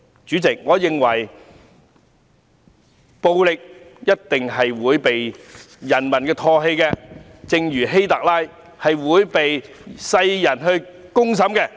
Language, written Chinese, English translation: Cantonese, 主席，我認為暴力一定會被人民唾棄，正如希特勒會被世人公審一樣。, President I believe violence will definitely be spurned by the people just like Adolf HITLER being denounced by all people